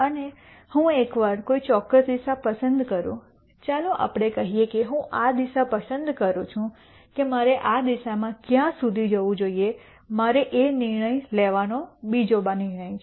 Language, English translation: Gujarati, And once I choose a particular direction let us say I choose this direction how far should I go in this direction is another decision I should make